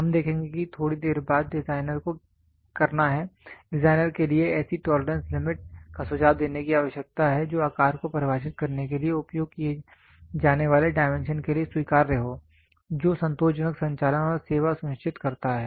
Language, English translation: Hindi, We will see that little later the designer has to; it is the; it is the need for the designer to suggest such tolerance limit which is acceptable for dimension used to define shape form ensure satisfactory operation and service